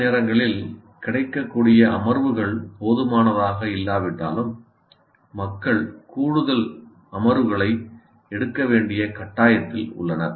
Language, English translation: Tamil, Sometimes even if available sessions are not enough, people are forced to take additional sessions